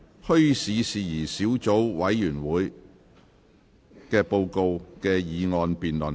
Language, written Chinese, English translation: Cantonese, "墟市事宜小組委員會的報告"的議案辯論。, The motion debate on Report of the Subcommittee on Issues Relating to Bazaars